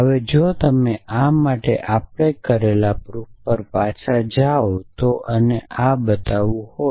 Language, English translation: Gujarati, Now, if you if you go back over the proof we did for this and this was to be shown